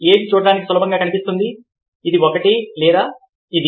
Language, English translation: Telugu, which one seems more easy to look at, this one or this one